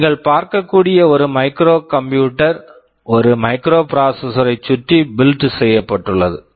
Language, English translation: Tamil, Microcomputer is a computer which is built around a microprocessor